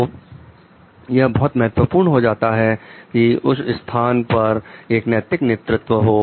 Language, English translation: Hindi, So, it is very important to have a ethical leadership in place